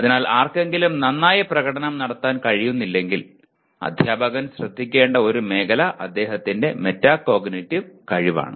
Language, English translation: Malayalam, So if somebody is not able to perform, one of the areas the teacher should look at is his metacognitive ability